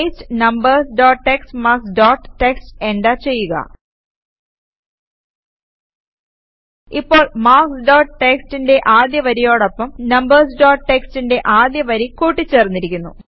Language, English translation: Malayalam, Paste numbers dot txt marks dot txt, enter Now the first line of marks dot txt was appended to the first line of numbers dot txt